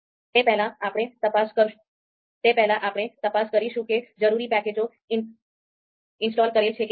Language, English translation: Gujarati, So we will check whether this package is installed or not